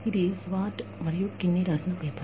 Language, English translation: Telugu, This is the paper, by Swart and Kinnie